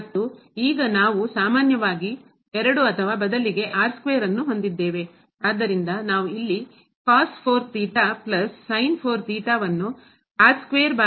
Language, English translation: Kannada, And now we have 2 or rather square if we take common; so we have here cos 4 theta plus sin 4 theta times square